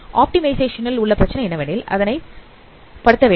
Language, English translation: Tamil, So this is the problem of optimization that you have to maximize it